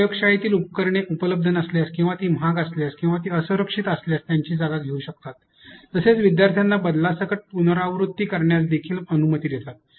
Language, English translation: Marathi, It can replace lab equipments if they are unavailable or they are expensive or they are unsafe, also allows the students to repeat with variations